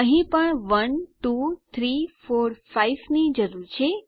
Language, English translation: Gujarati, Here also we need 1 2 3 4 5